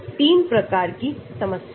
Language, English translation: Hindi, 3 types of problems